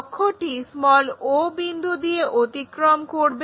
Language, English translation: Bengali, Axis, axis goes all the way through o